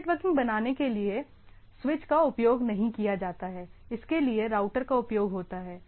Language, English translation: Hindi, Switches are not used to create inter networking so, that is for router